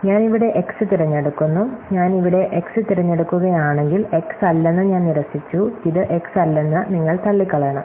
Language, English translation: Malayalam, So, maybe I pick x here, if I pick x here, I ruled out that not x, you have to ruled out this not x